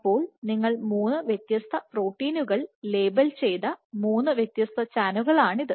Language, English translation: Malayalam, So, this is 3 different channels you have labeled 3 different proteins